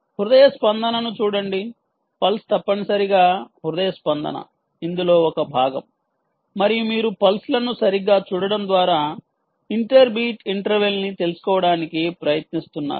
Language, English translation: Telugu, ok, the pulse essentially is the heartbeat is one part of the story, um, and you are trying to find out the inter beat interval